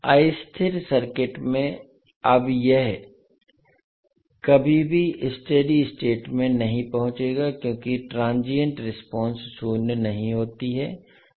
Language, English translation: Hindi, Now in unstable circuit it will never reach to its steady state value because the transient response does not decay to zero